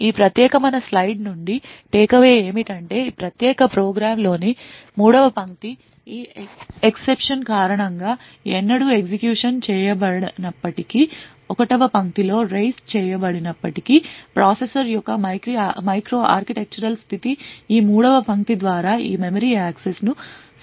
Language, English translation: Telugu, The takeaway from this particular slide is the fact that even though this line 3 in this particular program has never been executed due to this exception that is raised in line 1, nevertheless the micro architectural state of the processor is modified by this third line by this memory access